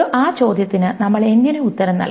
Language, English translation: Malayalam, How do we go about answering that question